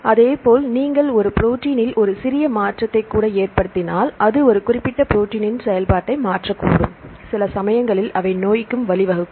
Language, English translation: Tamil, So, likewise if you even a small change in a protein, that can alter the function of a particular protein, sometime they may lead to disease too